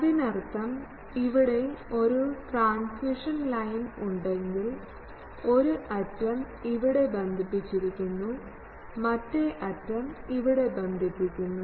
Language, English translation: Malayalam, That means if there is a transmission line here, so one end is connected here, the same end now goes and the other one is transmission lines, other end connects here ok